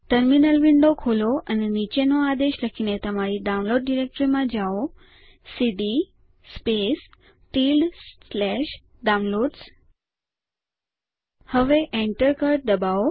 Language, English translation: Gujarati, Open a Terminal Window and go to your Downloads directory by typing the following command#160:cd ~/Downloads Now press the Enter key